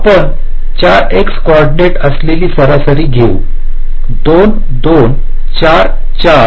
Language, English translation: Marathi, take the average, you take the four x coordinates: two, two, four, four